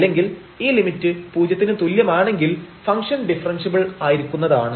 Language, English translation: Malayalam, That means, if this limit is 0 then the function is differentiable